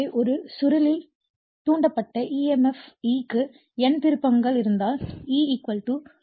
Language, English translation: Tamil, So, the induced emf E in a coil if you have N turns is given / E = minus N d∅/dt